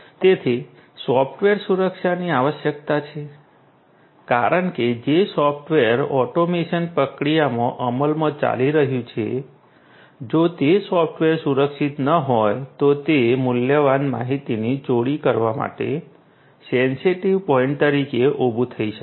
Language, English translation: Gujarati, So, there is need for software security, because if the software that is implemented and is running in the automation process, if that software is not secured that can pose as a vulnerable point to steal valuable information